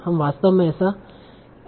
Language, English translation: Hindi, So what we will do here